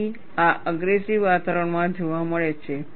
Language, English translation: Gujarati, So, this is observed in aggressive environment